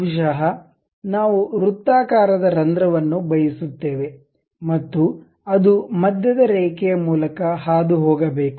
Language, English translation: Kannada, Maybe a circular hole we would like to have and it supposed to pass through center line